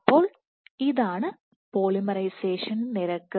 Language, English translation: Malayalam, So, this is the polymerization rate